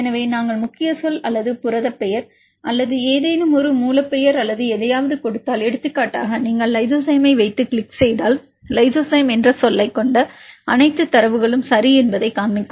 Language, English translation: Tamil, So, if we give the keyword or the protein name or any a source name or anything just if for example, you put lysozyme and click on go then this will show you that the all the data which contains the term lysozyme right